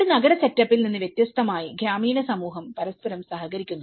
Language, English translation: Malayalam, It’s unlike an urban setup the rural community cooperate with each other